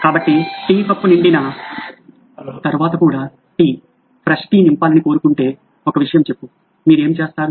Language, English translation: Telugu, So tell me one thing if you want tea, fresh tea to be filled one even after the tea cup is full, what do you do